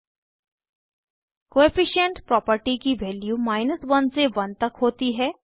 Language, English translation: Hindi, Coefficient property has values from 1.00 to 1.00